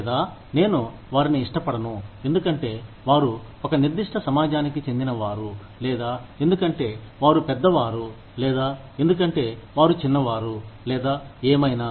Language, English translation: Telugu, Or, i will not prefer them, because they belong to a certain community, or because, they are older, or because, they are younger, or whatever